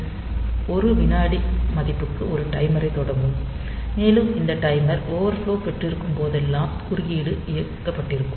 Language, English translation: Tamil, So, it will start a timer for a value of 1 second, and whenever this timer overflows the interrupt is enabled